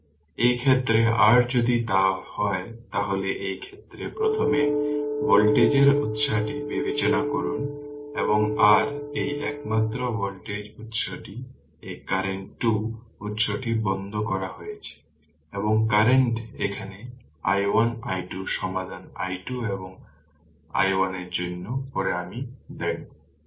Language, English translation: Bengali, So, in this case your if it is so, then in this case first we have consider the voltage source and your this only voltage source, this current 2 sources are turned off and current is here i 1 i 2 you solve for i 1 and i 2 later I will give you the solution